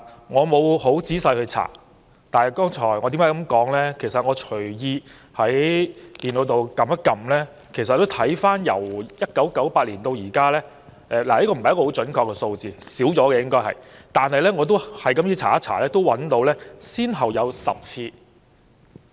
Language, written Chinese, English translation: Cantonese, 我沒有仔細查證，但在互聯網隨便搜尋一下，就得出由1998年至今，先後有10次——這並非準確數字，實際次數應更多——"不信任"議案在議會上提出。, Unverified statistics turned up after a cursory search on the Internet revealed that no less than 10 no - confidence motions―an imprecise estimation and the actual figure should be higher―had been proposed in the legislature throughout the years since 1998